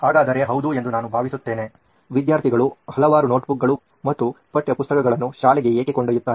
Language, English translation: Kannada, So is this the answer yes I think so, why do students carry several notebooks and textbooks to school